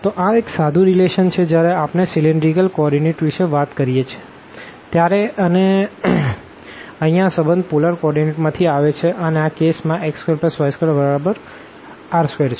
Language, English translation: Gujarati, So, this is the simple relation when we talk about the cylindrical coordinate and here this relation again coming from the polar coordinate that this x square plus y square will be r square in this case